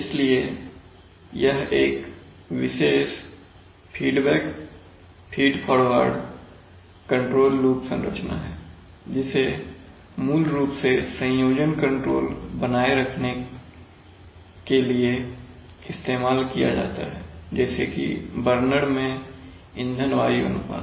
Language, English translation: Hindi, So it is a special feedback feed forward control loop configuration which is widely used for maintaining composition control, fuel air ratios in burners